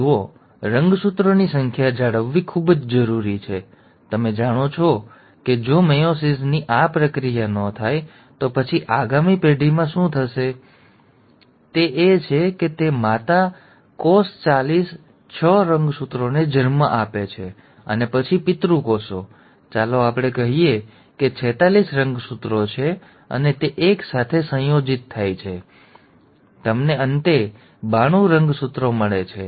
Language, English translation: Gujarati, See it is very important to maintain the chromosome number, you know if this process of meiosis does not happen, then in the next generation, what will happen is the mother cell will give rise to forty six chromosome and then the father cells, let us say have forty six chromosomes and they are fused together, you end up getting ninety two chromosomes